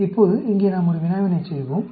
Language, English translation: Tamil, Now, let us do a problem here